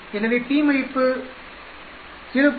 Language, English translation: Tamil, It gives you my p value that is 0